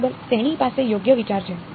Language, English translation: Gujarati, Exactly he has a right idea right